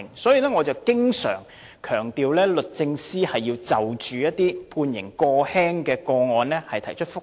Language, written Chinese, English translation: Cantonese, 因此，我經常強調，律政司應就着判刑過輕的個案提出覆核。, Therefore I have always stressed that the Department of Justice should apply for a review if a lenient sentence has been passed